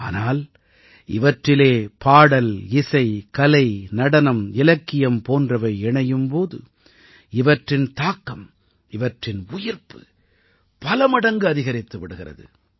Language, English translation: Tamil, But when songmusic, art, dramadance, literature is added to these, their aura , their liveliness increases many times